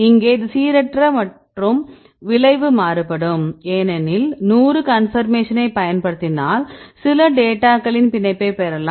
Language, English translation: Tamil, So, here this is random and outcome varies because if you use 100 conformation we will get some data get the binding